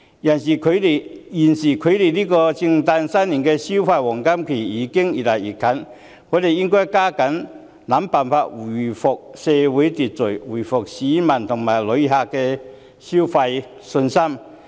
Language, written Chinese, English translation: Cantonese, 尤其是現時距離聖誕、新年的消費黃金期越來越近，我們應該加緊想辦法回復社會秩序、恢復市民和旅客的消費信心。, Now the Christmas and New Year consumer spending seasons are coming close we should all the more put on thinking caps to help seek solutions for restoring social order and reviving consumer confidence among the people and the tourists